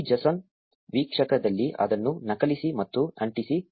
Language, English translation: Kannada, Copy and paste it in this json viewer